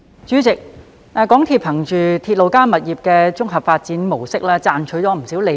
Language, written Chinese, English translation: Cantonese, 主席，港鐵公司憑"鐵路加物業發展"的綜合發展模式賺取不少利潤。, President MTRCL has made a lot of profits with its integrated development model of RP